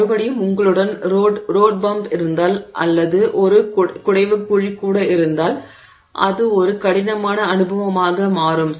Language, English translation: Tamil, On the other hand, if you have a road bump or if you have even even a pot hole it becomes a jarring experience